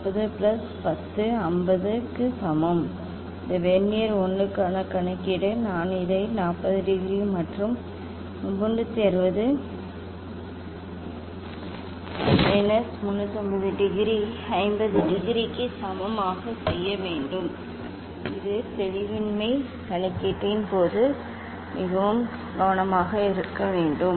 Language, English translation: Tamil, 40 plus 10 equal to 50; calculation for this Vernier 1 we have to do like this 40 degree plus 360 minus 350 degree equal to 50 degree that is the ambiguity one has to be very careful during calculation ok